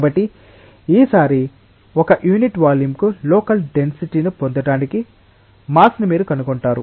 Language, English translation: Telugu, So, you find that mass per unit volume to get local density at a point that is what this definition is saying